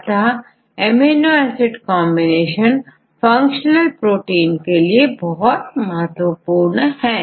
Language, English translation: Hindi, The combination of this amino acid residues is very important for a functional protein